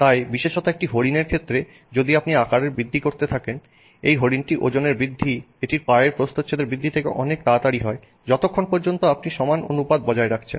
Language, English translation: Bengali, So, especially for a deer as you start increasing the size of the deer, its weight is increasing very fast relative to the rate at which the cross section of its legs is increasing as long as you maintain the same proportions